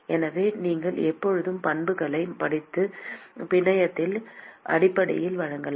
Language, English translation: Tamil, So, you can always read out the properties and present it in terms of the network